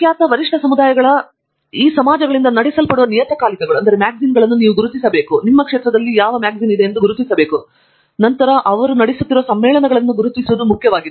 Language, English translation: Kannada, The important thing to do is to identify the journals that are run by these societies of reputed peer communities and then identify conferences that are run by them